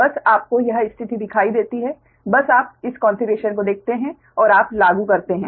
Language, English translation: Hindi, just you apply that right, just you see that, this thing, just you see this configuration and you apply right